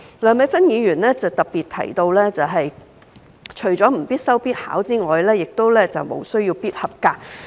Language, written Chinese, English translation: Cantonese, 梁美芬議員特別提出，通識科除了不應作為必修必考的核心科目外，也無須"必合格"。, Dr Priscilla LEUNG specially proposed that the LS subject should be removed not only as a compulsory core subject but also a must - pass examination subject